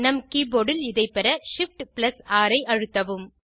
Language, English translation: Tamil, In our keyboard, it is obtained by pressing shift+6